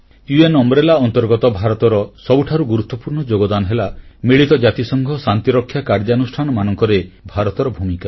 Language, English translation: Odia, India's most important contribution under the UN umbrella is its role in UN Peacekeeping Operations